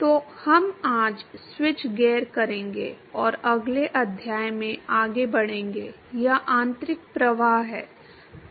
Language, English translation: Hindi, So, we will switch gears today and will move into the next chapter, it is internal flows